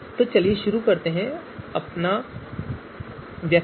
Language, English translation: Hindi, So let us start our exercise